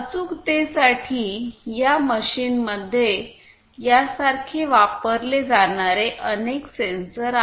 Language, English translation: Marathi, So, for precision there are number of sensors that are used in this machine and the similar ones